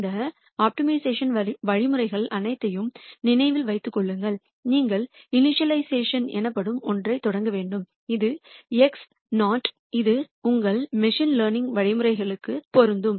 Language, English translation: Tamil, Remember with all of these optimization algorithms you would have to start with something called an initialization which is x naught and this is true for your machine learning algorithms also